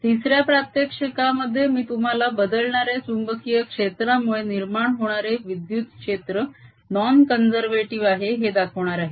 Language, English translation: Marathi, in this third demonstration i am going to show you that the electric field that is produced by changing magnetic field is non conservative